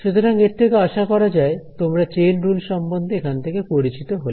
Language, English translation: Bengali, So, this hopefully is familiar to all of you chain rule over here